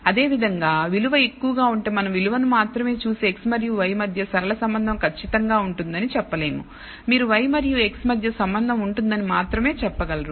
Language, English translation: Telugu, Similarly if a value is high looking at just the value we cannot conclude that there definitely exists a linear relationship between y and x, you can only say there exists a relationship between y and x